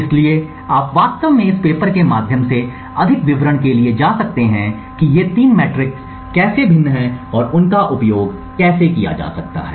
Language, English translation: Hindi, So, you could actually go through the paper for more details about how these three metrics differ and how they can be used